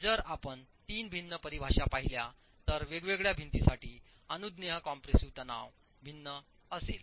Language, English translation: Marathi, This permissible compressive stress is going to be different for different walls